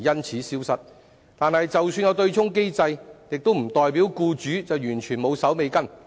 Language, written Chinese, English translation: Cantonese, 可是，即使有對沖機制，亦不代表僱主就完全無須善後。, However the availability of an offsetting mechanism does not mean that employers absolutely need not follow up anything